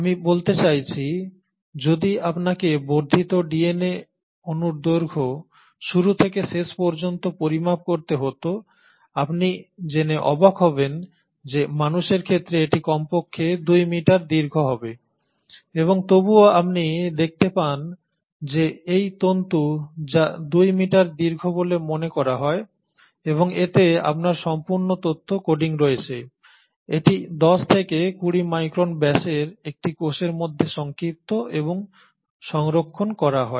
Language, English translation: Bengali, I mean, you will be surprised to know that if you were to actually measure from end to end, the length of extended DNA molecules let us say in humans, it will be at least 2 metres long and yet you find that this fibre which is supposedly 2 metres long and has your entire information coded in it is compacted and stored inside a cell which is about 10 to 20 microns in diameter